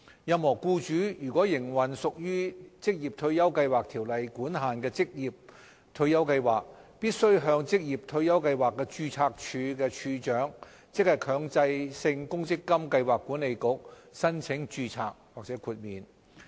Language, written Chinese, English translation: Cantonese, 任何僱主如果營運屬《條例》管限的退休計劃，必須向職業退休計劃註冊處處長，即強制性公積金計劃管理局申請註冊或豁免。, Employers who operate retirement schemes that fall under the ambit of the Ordinance are required to apply to the Registrar of Occupational Retirement Schemes namely the Mandatory Provident Fund Schemes Authority MPFA for registration or exemption of their schemes